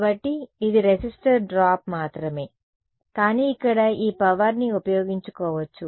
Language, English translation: Telugu, So, it's only a resistor drop, but here this energy can be exploited